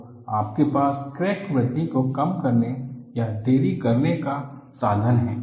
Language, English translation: Hindi, So, you have a via media to minimize or delay the crack growth